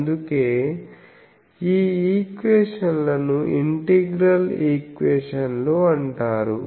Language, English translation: Telugu, So, that is why it is an integral equation